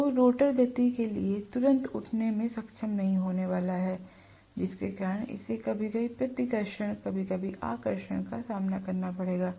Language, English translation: Hindi, So, the rotor is not going to be able to get up to speed right away because of which it will face repulsion sometimes, attraction sometimes